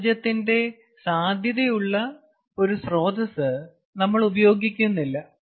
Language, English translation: Malayalam, so that way we are not utilizing a potential source of energy